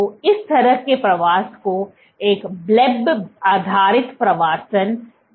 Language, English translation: Hindi, So, this kind of migration is called a bleb based migration